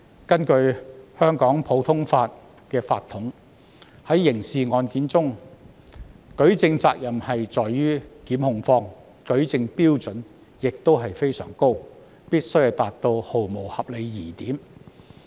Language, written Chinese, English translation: Cantonese, 根據香港普通法的法統，刑事案件的舉證責任在於控方，舉證標準非常高，必須毫無合理疑點。, According to the common law tradition of Hong Kong the burden of proof in criminal cases lies with the prosecution and the standard of proof is very high ie . beyond reasonable doubt